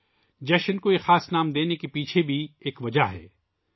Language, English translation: Urdu, There is also a reason behind giving this special name to the festival